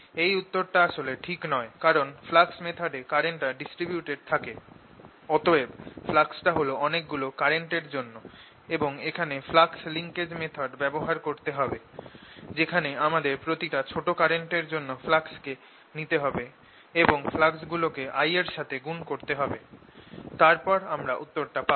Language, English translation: Bengali, this actually answer is not correct because in this case what is happening is that the current is distributed and therefore the flux is due to many different currents, and one has to use something called the flux linkage method, in which you take flux due to each small current, multiply that by i, submit over and then get the answer